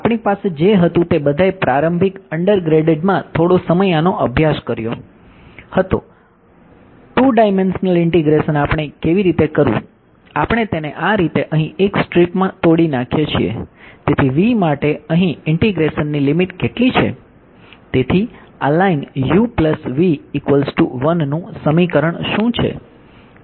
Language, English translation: Gujarati, we had all we have all studied this some time in early undergrad 2 dimensional integration how do we do; we break it up like this into a strip here right